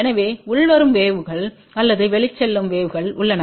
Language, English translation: Tamil, So, there are incoming waves or outgoing waves